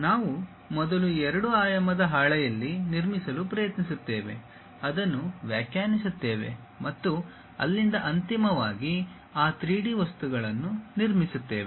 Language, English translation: Kannada, We first try to construct on two dimensional sheet, interpret that and from there finally, construct that 3D objects